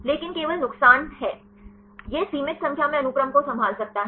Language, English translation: Hindi, But only disadvantages is; it can handle limited number of sequences